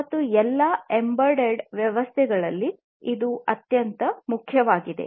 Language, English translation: Kannada, And this is the most important of all embedded systems